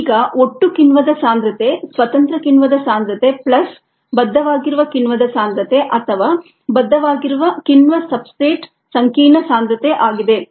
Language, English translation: Kannada, the concentration of the total enzyme equals the concentration of the free enzyme plus the concentration of the bound enzyme or bound as enzyme substrate complex